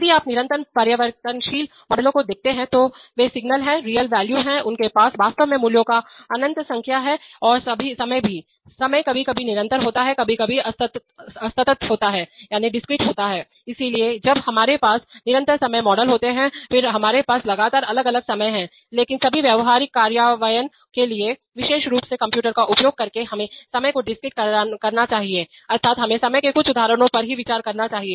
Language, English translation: Hindi, If you look at continuous variable models, they are the signals a real valued, they have, they have actually have an infinite number of possibilities of values and time is also, time is sometimes continuous sometimes discrete, so when we have continuous time models then we have time continuously varying, but for all practical implementations especially using computers we must discretize time, that is, we must consider values only at certain instants of time